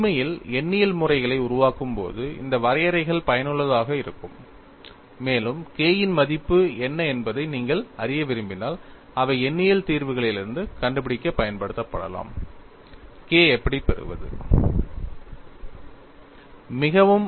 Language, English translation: Tamil, aAnd these definitions would become useful when you are actually developing numerical methods,, and you want to find out what is the value of K; they could be used to find out some numerical solution, how to get K